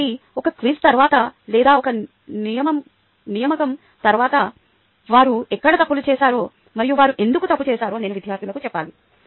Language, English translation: Telugu, so after a quiz or after an assignment, i must tell the students where all they have committed mistakes and why they committed the mistake